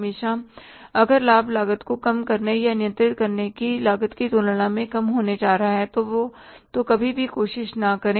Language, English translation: Hindi, Always if the benefit are going to be lesser than the cost of reducing the or controlling the cost, never try that